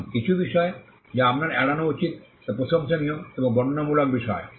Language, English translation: Bengali, Now, certain things that you should avoid are laudatory and descriptive matters